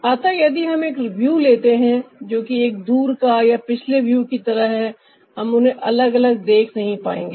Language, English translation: Hindi, so if we take a view ah, which is like a far way view or a real view, we won't be able to see them separately